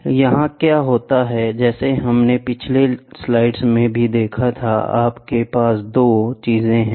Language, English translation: Hindi, So, here what happens is like we saw in the previous slides also, you have two things